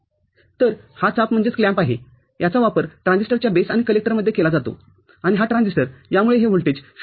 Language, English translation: Marathi, So, this is clamp, this is used between base and collector of a transistor, and this transistor because of this, this voltage is clamped to say, 0